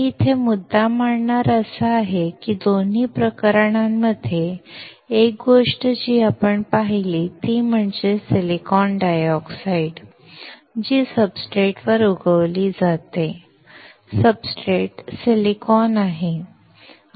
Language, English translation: Marathi, The point that I am making here is that in both the cases, one thing that we have seen is the silicon dioxide, which is grown on the substrate; the substrate being silicon